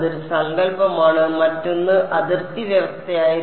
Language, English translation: Malayalam, And that is one concept, the other concept was the boundary condition